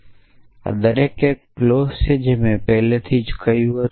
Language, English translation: Gujarati, So, each of these is a clause I we already said that